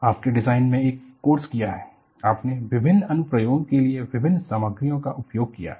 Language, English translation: Hindi, So, you have to know, if you have a done a course in design, you use different materials for different applications